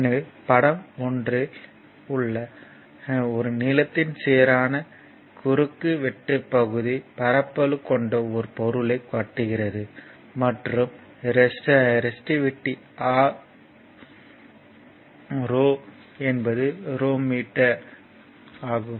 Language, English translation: Tamil, So, figure 1 a it is shows a material with uniform cross section area sectional area of A length is l and resistivity is ohm rho that is ohm meters, right